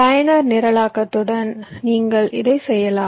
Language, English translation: Tamil, you can do it with user programming